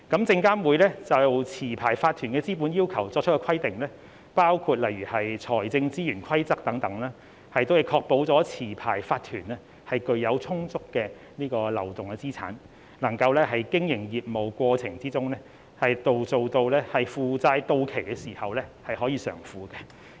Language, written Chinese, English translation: Cantonese, 證監會就持牌法團的資本要求作出的規定，包括例如財政資源規則等，亦確保持牌法團具有充足流動資產，能夠在經營業務的過程中，當負債到期時可以償付。, SFC has set out capital requirements for LCs such as the financial resources rules and so on while ensuring that LCs have sufficient liquid assets to meet ongoing liabilities as they fall due